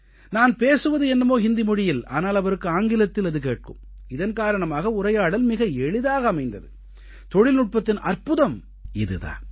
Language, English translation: Tamil, So I used to speak in Hindi but he heard it in English and because of that the communication became very easy and this is an amazing aspect about technology